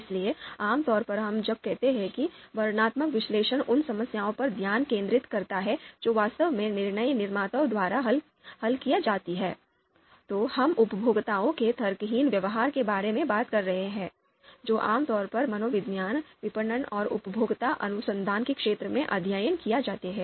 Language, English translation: Hindi, So typically when we say that descriptive analysis focuses on the problems which are actually solved by decision makers, we are talking about the irrational behavior of the consumers, which are typically studied in the fields of psychology, marketing and consumer research